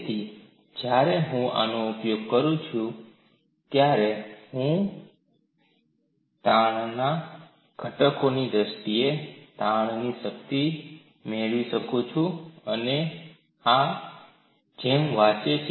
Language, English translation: Gujarati, So, when I use these, I can get the strain energy in terms of stress components and that reads like this